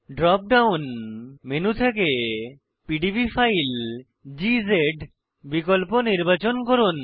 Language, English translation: Bengali, From the drop down menu, select PDB file option